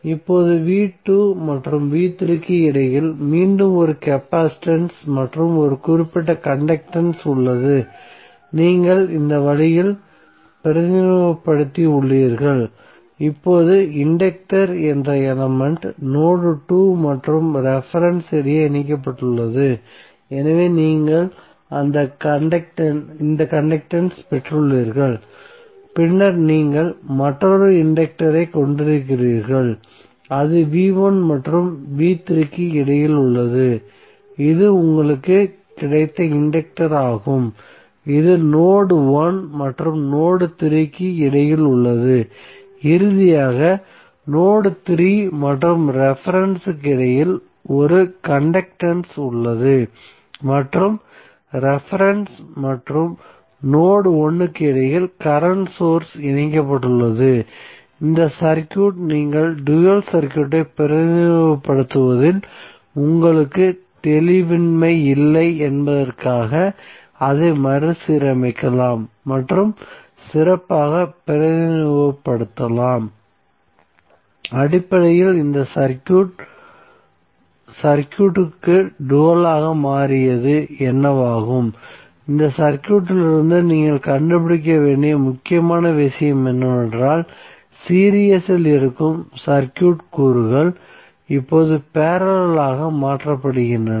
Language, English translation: Tamil, Now between v2 and v3 again you have one capacitance and one conductance so you have represented in this way, now the element which is inductance is connected between node 2 and reference, so you have got this conductance and then you have another inductor which is connected between v1 and v3, so this is the inductance which you have got which is between node 1 and node 3 and finally between node 3 and reference you have one conductance and the current source which is connected between reference and node 1, so this circuit you can rearrange and represent it nicely so that you do not have ambiguity in representing the dual circuit, so basically what happen that this circuit has become the dual of the circuit so the important thing you need to figure out from this circuit is that most of the circuit elements which are in series are now converted into parallel